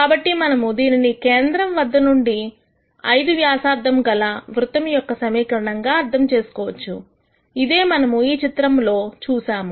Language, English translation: Telugu, So, this we all realize as equation of a circle centered at the origin with a radius of 5, which is what you see in this plot